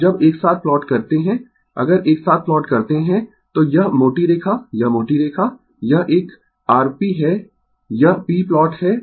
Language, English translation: Hindi, Now, when you plot together, if you plot together, this thick line, this thick line, this one is your p right, this is the p plot